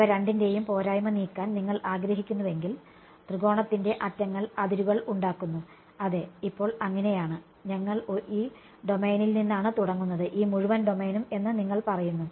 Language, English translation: Malayalam, If I if you wanted to remove the disadvantage of both of them, the edges of the triangle do form the boundary, yes now so, you are saying that we start with this domain this entire domain